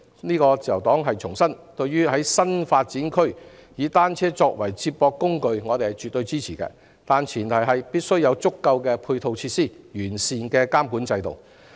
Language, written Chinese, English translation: Cantonese, 自由黨重申，我們絕對支持在新發展區以單車作為接駁交通工具，但前提是必須有足夠的配套設施和完善的監管制度。, We in the Liberal Party wish to reiterate our absolutely support for the use of bicycles as a means of feeder transport in new development areas provided that there are adequate supporting facilities and a sound regulatory system